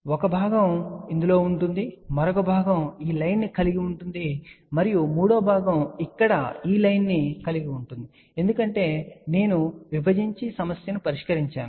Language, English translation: Telugu, So, one segment will consist of this another segment will consist of this line and the third segment will consist of this line here, as I mentioned divided and solve the problem